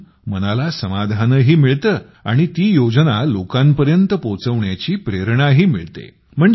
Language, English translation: Marathi, It also gives satisfaction to the mind and gives inspiration too to take that scheme to the people